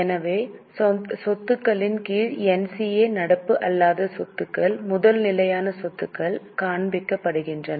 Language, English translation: Tamil, So, under assets NCA non current assets, first fixed assets are shown